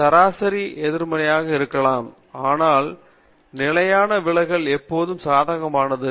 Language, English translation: Tamil, The mean may be negative, but the standard deviation is always positive